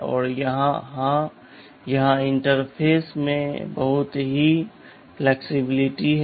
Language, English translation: Hindi, And of course, here there is lot of flexibility in the interface